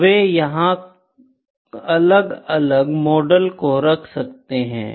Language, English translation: Hindi, So, they can put here different models, ok